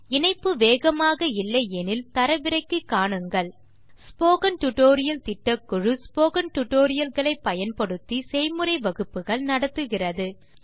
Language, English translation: Tamil, If you do not have good bandwidth,you can download and watch it The Spoken tutorial project team Conducts workshops using spoken tutorials